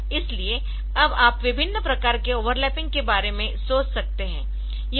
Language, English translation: Hindi, So, now you can think about different types of overlapping